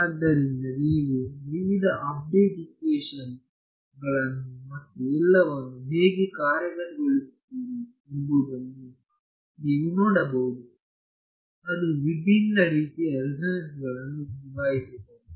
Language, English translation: Kannada, So, you know you can go and see how they have implemented various update equations and all and it can handle of quite a variety of different resonances ok